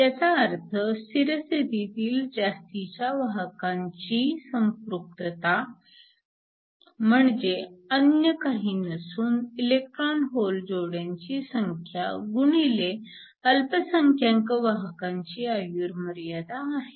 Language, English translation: Marathi, Which implies the steady state excess carrier concentration is nothing, but the number of electron hole pairs that are generated times the life time of the minority carriers